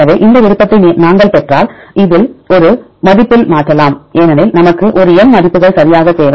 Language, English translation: Tamil, So, if we get this preference, then we can convert this in the score because we need a numerical values right